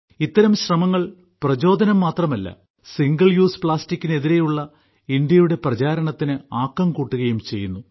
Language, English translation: Malayalam, Such efforts are not only inspiring, but also lend momentum to India's campaign against single use plastic